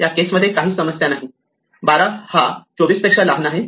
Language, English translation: Marathi, In this case, there is no problem 12 is smaller than 24